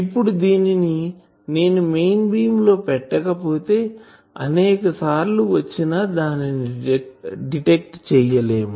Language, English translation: Telugu, Now if they cannot put it into the main beam then they many times would not be able to detect it